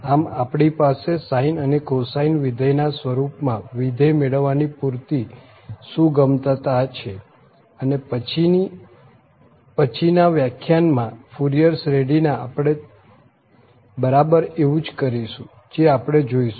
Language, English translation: Gujarati, So, we have a full flexibility of getting a desired function in terms of the sine and the cosine functions and that is what we will exactly do in the Fourier series, in the next lecture we will observe that